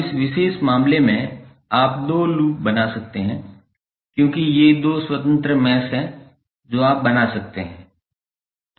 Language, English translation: Hindi, Now, in this particular case you can create two loops because these are the two independent mesh which you can create